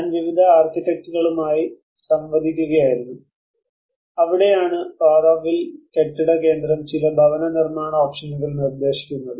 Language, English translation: Malayalam, I was interacting with various architects and that is where the Auroville building centre is proposing up some housing options